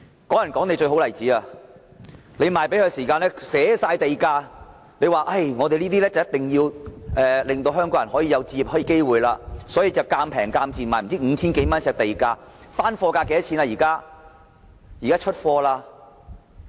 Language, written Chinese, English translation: Cantonese, "港人港地"是最好的例子，賣樓的時候寫明地價，政府說一定要令香港人有置業機會，所以便以賤價，如每呎 5,000 多元地價賣樓，但現時的樓價是多少？, Land premium must be clearly specified when the flats are put up for sale . Given that the Government has vowed to provide home purchase opportunities for Hong Kong people the flats were sold at a pretty low price of 5,000 - odd per square foot . But what is the price now?